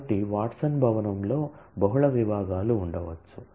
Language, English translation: Telugu, So, Watson building may have multiple departments